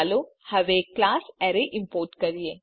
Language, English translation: Gujarati, Let us now import the class Arrays